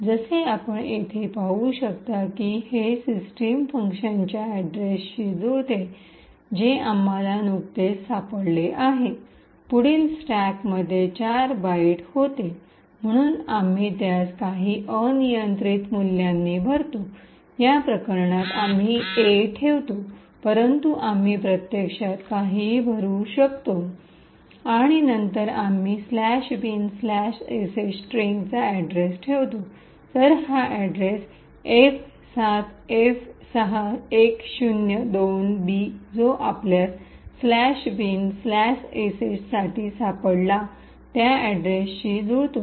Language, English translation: Marathi, As you can see here this matches the address of system function which we have just found, next really were of 4 bytes in the stack, so we just fill it with some arbitrary values, in this case we put A but we could actually to fill it with anything and then we put the address of the string /bin/sh, so this address F7F6102B which matches the address that we have actually found for /bin/sh